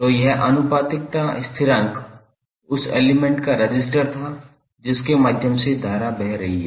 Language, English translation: Hindi, So, this proportionality constant was the resistance of that element through which the current is flowing